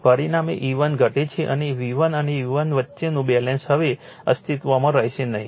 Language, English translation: Gujarati, As a result E 1 reduces and the balance between V 1 and E 1 would not would no longer exist, right